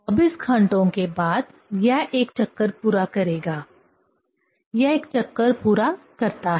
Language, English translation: Hindi, After 24 hours, it will complete a rotation; it complete a rotation